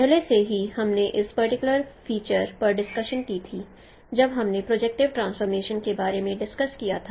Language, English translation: Hindi, Already we discussed this particular feature when we discussed about the projective transformation